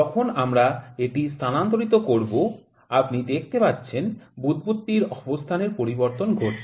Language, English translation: Bengali, When we move it you can see the bubble is changing it is position